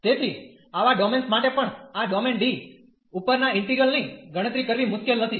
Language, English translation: Gujarati, So, for such domains also it is a not difficult to compute the integral over such over this domain D